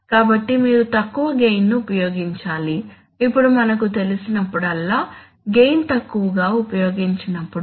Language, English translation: Telugu, So you must use the lower gain, now whenever we know that, whenever we use a lower gain